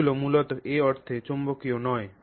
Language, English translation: Bengali, They are basically non magnetic in that sense